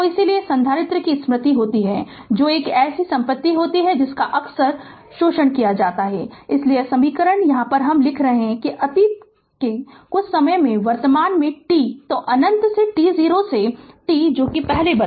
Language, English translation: Hindi, So, hence the capacitor say we can say has memory that is a property that is often exploited right, so that is why these equation we are writing that from the past we have taken at some time at present t so minus infinity to t 0 plus t 0 to t that what I wrote previously